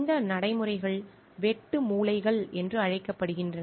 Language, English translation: Tamil, These practices are called cutting corners